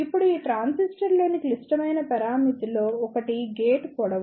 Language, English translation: Telugu, Now, one of the critical parameter in these transistor is the gate length